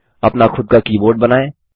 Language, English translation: Hindi, Create your own keyboard